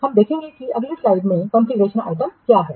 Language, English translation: Hindi, We will see what are configuration items in the next slide